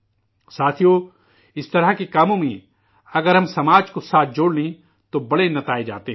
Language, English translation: Urdu, Friends, in Endeavour's of thesekinds, if we involve the society,great results accrue